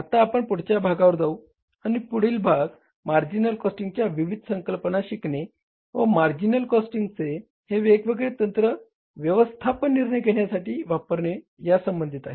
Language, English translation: Marathi, Now we will move to the next part and that next part is learning about the different concepts under the marginal costing and applying the technique of marginal costing for different management decisions in the firm